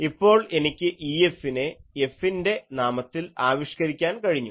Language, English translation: Malayalam, I now have an expression for E F in terms of F